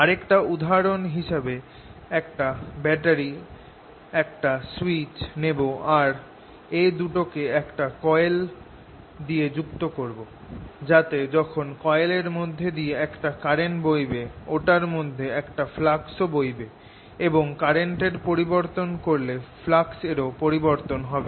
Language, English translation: Bengali, another example of this would be: i take a battery for a switch and put it through a coil so that when the current passes through the coil, there's a flux through it and any change in current would change this flux